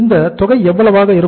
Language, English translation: Tamil, This amount works as how much